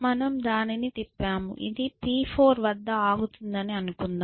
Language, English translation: Telugu, So, we rotate it let us say P 4 it stops at P 4